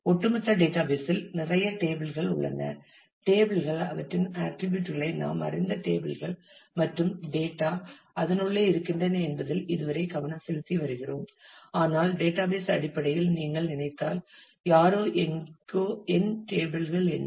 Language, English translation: Tamil, The database as a whole has a whole lot of tables; and so far we have just been focus on the fact that tables we know the tables we know their attributes and the data resides in inside, but if you think in terms of the database, then somebody; somewhere we will need to remember that what are my tables